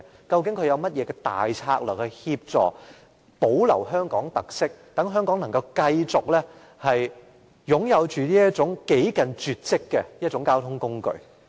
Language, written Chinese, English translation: Cantonese, 究竟政府有甚麼策略協助保留這項香港特色，好讓香港能繼續擁有這種幾近絕跡的交通工具？, Does the Government have any policy to help conserve this unique feature so that this almost extinct means of transport will continue to exist in Hong Kong?